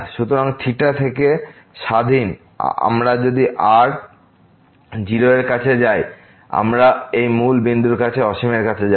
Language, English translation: Bengali, So, independent of theta, we if we approach r to 0; we will approach to infinite to this origin